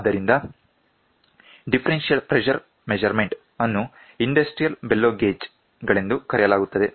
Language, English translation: Kannada, So, the differential pressure measurement is called as industrial bellow gauges